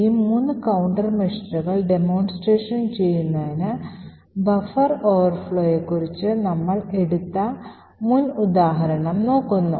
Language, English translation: Malayalam, So, to demonstrate these three countermeasures we look at the previous example that we took of the buffer overflow